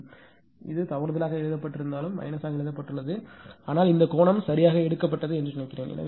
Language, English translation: Tamil, This, although this is a by mistake it is written minus but I think this angle is taken correctly right